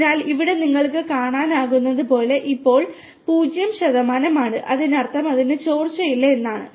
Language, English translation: Malayalam, So, here as you can see it is zero percent now that means it has no leakage at all